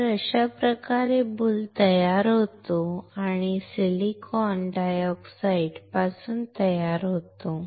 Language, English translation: Marathi, So, this is how the boule is formed or is manufactured from the silicon dioxide